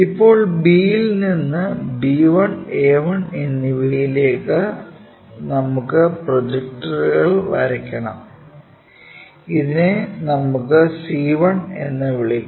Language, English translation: Malayalam, Now, we have to draw projectors to this b passing through b 1, a 1, let us call c 1 is not' b 1, a 1, c 1, and d 1